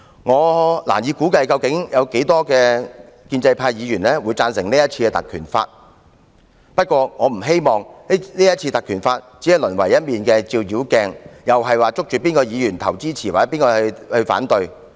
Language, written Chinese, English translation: Cantonese, 我難以估計有多少建制派議員支持是次的議案，但我不希望議案只淪為一面照妖鏡，再次凸顯哪位議員支持，或誰反對。, I can hardly estimate how many pro - establishment Members will support the two motions . However I do not hope that the motions would only act as a demon detector showing again which Members support them and who objects